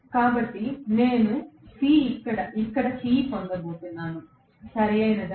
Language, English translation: Telugu, So, I am going to get C here, right